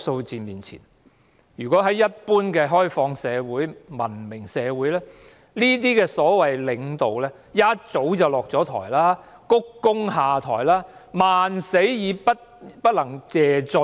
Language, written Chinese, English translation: Cantonese, 在文明開放的社會裏，面對這些數字的領導早已下台，鞠躬下台，萬死不能謝罪。, In a civilized and open society the leader who faced these figures would have already stepped down bowed and stepped down . They could not get rid of their guilt even if they died a hundred times